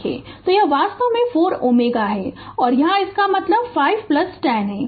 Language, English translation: Hindi, So, this is actually 4 ohm and here its 5 plus 10